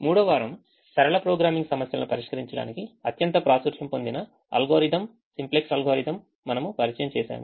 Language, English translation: Telugu, third week we introduced with simplex algorithm, which is the most popular algorithm to solve linear programming problems